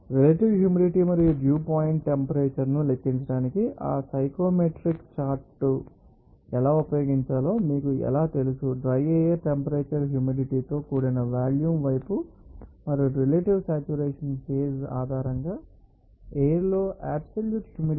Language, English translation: Telugu, How to you know to use that Psychrometric chart to you know to calculate the relative humidity and also dew point temperature, dry air temperature are enthalpy even you know that towards the humid volume and also relative saturation, absolute, you know, moisture content in the air based on phase